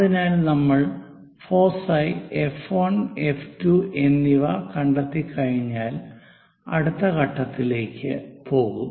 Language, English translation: Malayalam, So, once we locate this F 1 foci, F 2 focus, then we will go with the next step